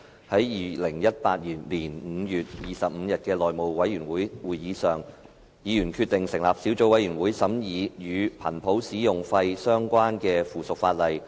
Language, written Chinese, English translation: Cantonese, 在2018年5月25日的內務委員會會議上，議員決定成立一個小組委員會，以審議與頻譜使用費相關的附屬法例。, At the meeting of the House Committee on 25 May 2018 Members decided to form a Subcommittee to scrutinize the subsidiary legislation on spectrum utilization fees